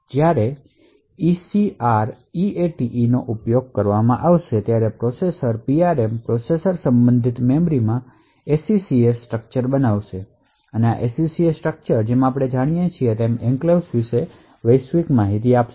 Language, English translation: Gujarati, So, when ECREATE is invoked the processor would create an SECS structure in the PRM the processor related memory and this SECS structure as we know would contain the global information about the enclave